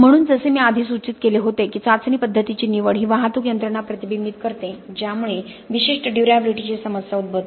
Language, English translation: Marathi, So as I had indicated earlier the choice of the test method has to reflect the transport mechanisms that lead to a particular durability problem